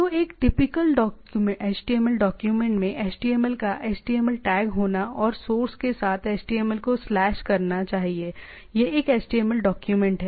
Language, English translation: Hindi, So, like a typical HTML document should have a HTML tag of HTML and slash HTML with source it is a HTML document